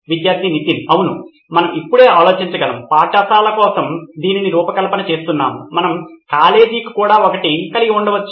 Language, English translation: Telugu, Yes we can I think right now we are designing it for schools we can also have one for college as well